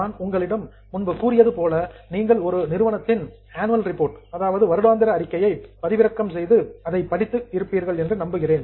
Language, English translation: Tamil, As I have told you earlier, I hope you have decided about your company, download the annual report of that company, look at the balance sheet